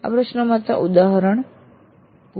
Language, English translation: Gujarati, This is just an example